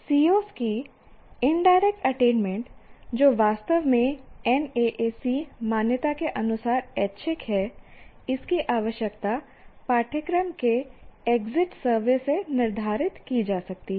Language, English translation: Hindi, Now indirect attainment of COs, which is actually is optional as far as NAAC accreditation is concerned, one need not include that, can be determined from the course exit surveys